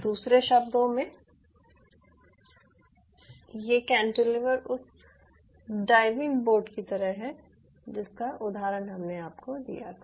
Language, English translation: Hindi, in other word, these cantilever is just like i give you the example of that diving board